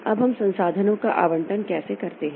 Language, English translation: Hindi, Now, how do we allocate the resources